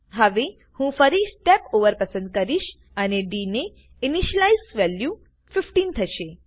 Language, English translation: Gujarati, Now, I can choose Step Over again and ds value also gets initialized and becomes 15